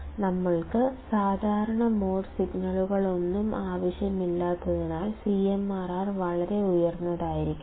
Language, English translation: Malayalam, And CMRR is supposed to be extremely high because we do not require any common mode signal